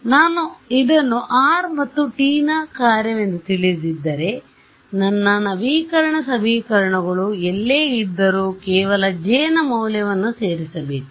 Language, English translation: Kannada, So, if I know this as a function of r and t, then wherever my update equations are I just simply add this value of J